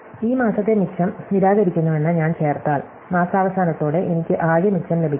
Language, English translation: Malayalam, So, if I add this month's surplus are defied I get the total surplus at the end of the month